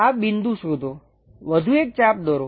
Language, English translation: Gujarati, Locate this point, draw one more arc